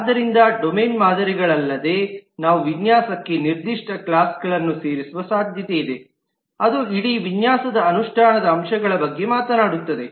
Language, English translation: Kannada, So it is likely, besides the domain models, we will also have specific classes added to the design, which will talk about the implementation aspect of the whole design